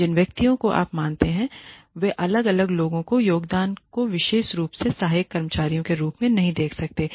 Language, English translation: Hindi, The individual people you know the contribution of individual people may not be seen as very significant especially the support staff